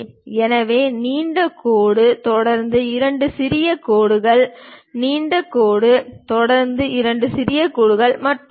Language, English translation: Tamil, So, long dash followed by two small dashes, long dash followed by two dashes and so on